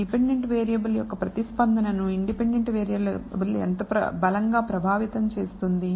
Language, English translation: Telugu, How strongly the independent variable affects the response of the dependent variable